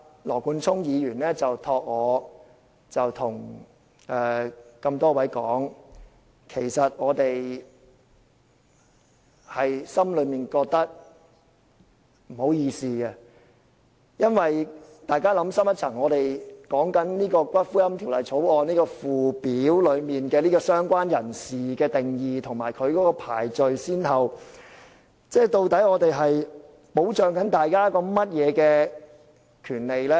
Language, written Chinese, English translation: Cantonese, 羅冠聰議員請我向各位說，其實我們內心感到不好意思，請大家想深一層，我們在討論《條例草案》的附表中"相關人士"的定義和排序先後時，究竟是在保障大家甚麼權利呢？, Mr Nathan LAW asked me to tell them that we actually feel embarrassed . Members please think deeper about this When we discuss the definition of related person and the order of priority in the Schedule to the Bill what kind of right do we seek to protect for them?